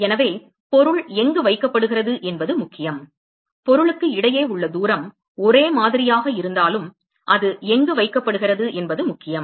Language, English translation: Tamil, So, it does matter where the object is placed even though the distance between the object is the same it does matter where it is placed